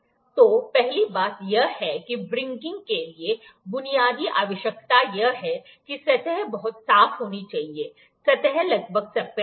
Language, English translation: Hindi, So, the first one thing is the basic requirement for wringing is that the surface has to be very clean, surface is almost flat